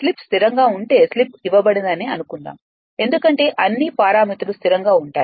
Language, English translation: Telugu, If slip is constant if you suppose slip is given, because all are the parameters will remain constant